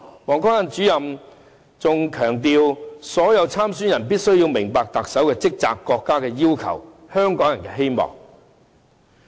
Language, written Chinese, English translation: Cantonese, 王光亞主任還強調所有參選人必須明白特首的職責、國家的要求及香港人的希望。, Director WANG Guangya also emphasized that all candidates must understand the duties as the Chief Executive the countrys demand and Hong Kong peoples aspirations